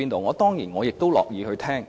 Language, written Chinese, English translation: Cantonese, 我當然也樂意聆聽。, Of course I am also prepared to listen